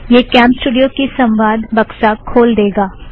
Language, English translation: Hindi, This will open the CamStudio dialog box